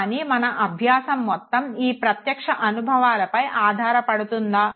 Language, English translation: Telugu, But is it that our entire learning is dependent on direct experience